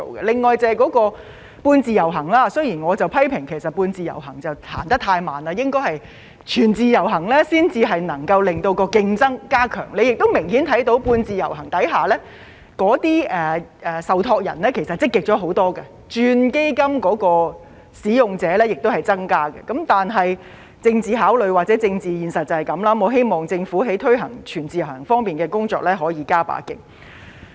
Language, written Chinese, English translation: Cantonese, 另外，就是"半自由行"，雖然我批評"半自由行"走得太慢，應該要"全自由行"才可以加強競爭，大家亦明顯看到在"半自由行"下，受託人其實是積極了很多的，轉換基金的使用者也有增加，但政治考慮或政治現實便是這樣，我希望政府在推行"全自由行"的工作上可以再加把勁。, Although I have criticized semi - portability for being too slow and that only full - portability can enhance competition we can clearly see that trustees are way more proactive under the semi - portability arrangement . The number of users transferring funds has also increased . Taking political consideration or political reality into account I hope the Government will make more efforts to implement full - portability